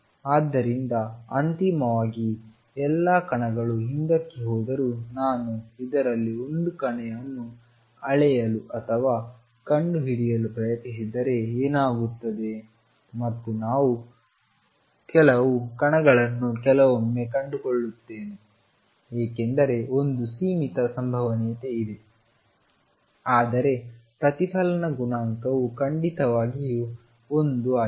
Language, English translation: Kannada, So, although eventually all particles go back what happens is if I measure or try to locate a particle in this and I will find some particles sometimes because there is a finite probability, but the reflection coefficient is certainly one